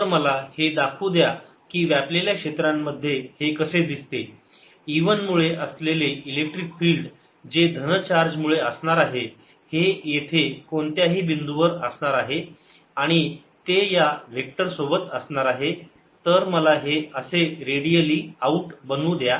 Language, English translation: Marathi, so let me show how this field looks in the overlapping region: the electric field due to e one due to the positive charge is going to be at any point, is going to be along the vector